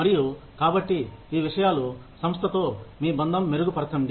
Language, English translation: Telugu, And, so these things, just enhance the, your bonding with the organization